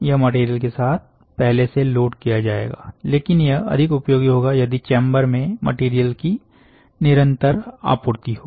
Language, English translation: Hindi, This would be preloaded with material, but it will be more useful if there was a continuous supply of material into the chamber